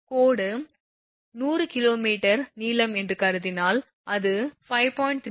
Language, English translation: Tamil, If you suppose line is 100 kilometre long then it will be 5